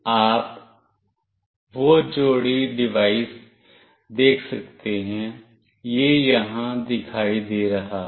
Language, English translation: Hindi, You can see that the pair device, it is showing up here